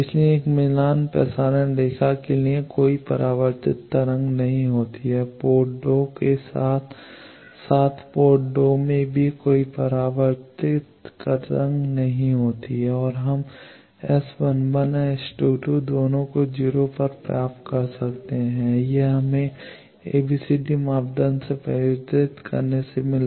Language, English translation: Hindi, So, for a matched transmission line there is no reflected wave there is no reflected wave in port 1 as well as in port 2 and we get S 11 and S 22 both of them at 0